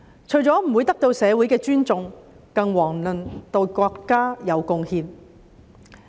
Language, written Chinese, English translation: Cantonese, 除了不會得到社會的尊重，更遑論對國家有貢獻。, It cannot earn any respect of the community let alone make contribution to the country